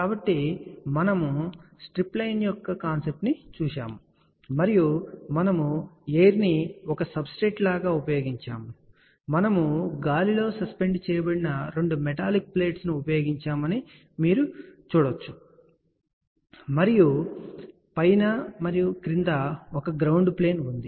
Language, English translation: Telugu, So, we looked at the concept of the stripline and we had used air as a substrate or you can say that we had used two metallic plate which were suspended in the air and we had a ground plane on the top as well as at the bottom